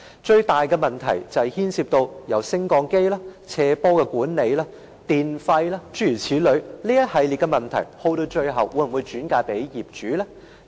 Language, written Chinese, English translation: Cantonese, 最大的問題是牽涉到升降機的維修、斜坡管理、電費，諸如此類，這一系列的問題最後會否由業主承擔呢？, The biggest problem involves the maintenance of lifts management of slopes electricity fees so on and so forth . Will this series of problems be borne by the owners in the end?